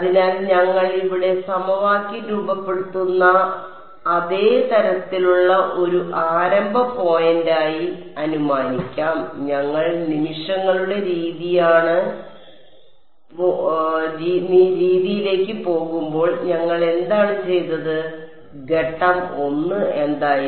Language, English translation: Malayalam, So, we will assume the same sort of formulating equation over here as a starting point, what did we do when we went to the method of moments, what was sort of step 1